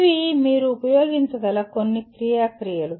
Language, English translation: Telugu, These are some of the action verbs that you can use